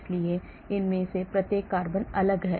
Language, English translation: Hindi, so each of these carbon differs